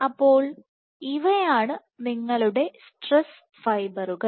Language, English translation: Malayalam, So, these are your stress fibers